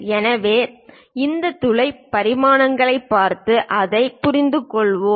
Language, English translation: Tamil, So, let us look at this hole, the dimensions and understand that